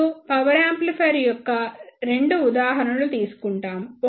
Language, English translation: Telugu, Now, we will take two examples of power amplifier